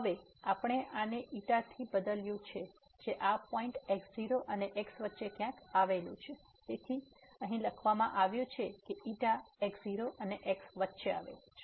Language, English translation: Gujarati, Now we have replaced by xi it lies somewhere between this and the point , so which is written here the xi lies between and